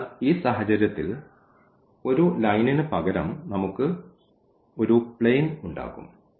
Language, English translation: Malayalam, So, in this case we will have instead of a line we will have a planes